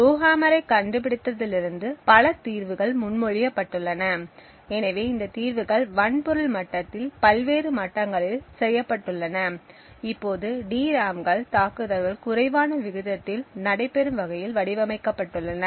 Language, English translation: Tamil, Since the discovery of Rowhammer there have been several solutions that have been proposed, so these solutions have been done at various levels at the hardware level now DRAMs are designed in such a way so that the effect of such that Rowhammer is less likely to happen